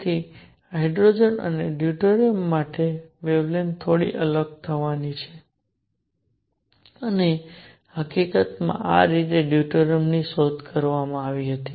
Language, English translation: Gujarati, So, wavelengths for hydrogen and deuterium are going to be slightly different and in fact, that is how deuterium was discovered